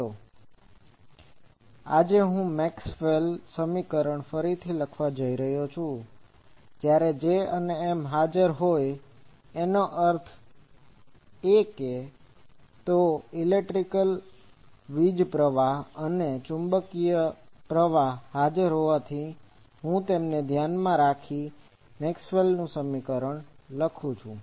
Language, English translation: Gujarati, So, let me rewrite the Maxwell’s equation, when both J and M; that means, electric current and magnetic current are present I can write them Maxwell’s equation